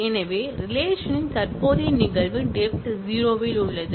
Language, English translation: Tamil, So, the present instance of the relation is at depth 0